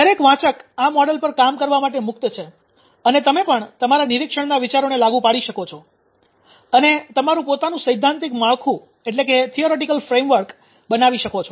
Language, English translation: Gujarati, How about every reader is free to work on this this model and you can apply your thought of observations ah and build up your own theoretical frame work